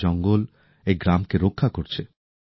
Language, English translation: Bengali, Today this forest is protecting this village